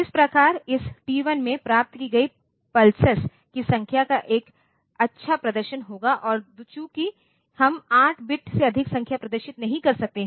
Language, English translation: Hindi, So, it will have a nice display of the pattern of number of pulses that had received in this T 1 and since we are we cannot display more a number more than 8 bit white